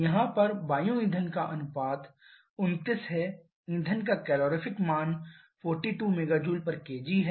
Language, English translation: Hindi, Here air fuel ratio is 29 calorific value of the fuel is 42 mega Joule per kg